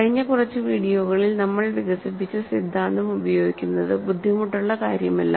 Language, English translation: Malayalam, It is not difficult using the theory that we developed in the last few videos